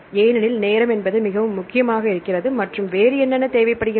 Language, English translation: Tamil, So, the time that is very important and what else we need to think about